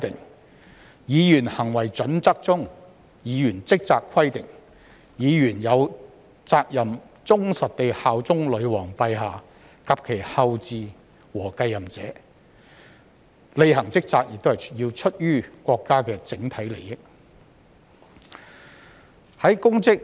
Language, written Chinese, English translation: Cantonese, 根據《國會議員操守準則》中"議員職責"的規定，議員有責任忠實地效忠女王陛下及其後嗣和繼任者、履行職責是出於國家的整體利益。, According to the provisions of the Code of Conduct for Members of Parliament on the Duties of Members Members have a duty to be faithful and bear true allegiance to Her Majesty the Queen her heirs and successors and a general duty to act in the interests of the nation as a whole